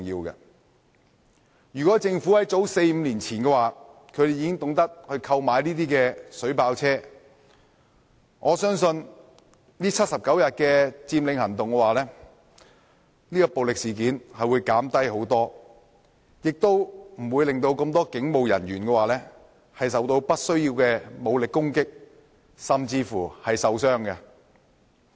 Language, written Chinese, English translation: Cantonese, 如果政府在早四五年前已經懂得購買水炮車，我相信79天佔領行動期間的暴力事件會大大減低，亦不會令多名警務人員受到不必要的武力攻擊甚至受傷。, If the Government had known the importance of purchasing vehicles equipped with water cannons as early as four or five years ago I believe that the violent incidents in the 79 - day Occupy Movement would have definitely been reduced largely and the many police officers would not have suffered unnecessary armed assaults and even injuries